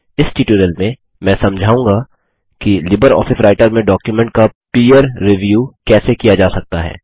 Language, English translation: Hindi, In this tutorial I will explain how peer review of documents can be done with LibreOffice Writer